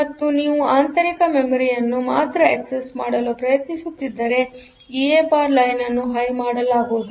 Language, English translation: Kannada, So, and if you are trying to access only internal memory then the EA bar line will be made high